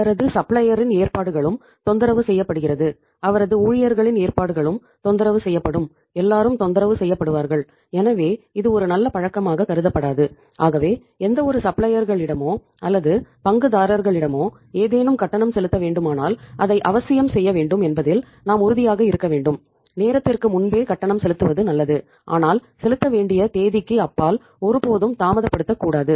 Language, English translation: Tamil, So we have to be sure that anytime if any payment is due to be made to any of the suppliers or any of the stakeholders, that should be made, it is better to make the payment before time but never delay the payment beyond the due date or the due time